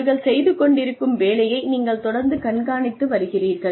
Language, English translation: Tamil, And you are constantly monitoring the work, that they are doing